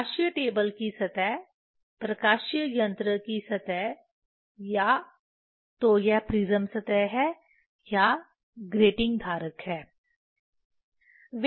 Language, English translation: Hindi, The surface of the optical table optical device, surface of the optical device either it is a prism surface or the grating holder